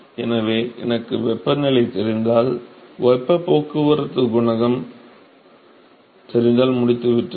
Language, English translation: Tamil, So, if I know the temperatures, if I know the heat transport coefficient I am done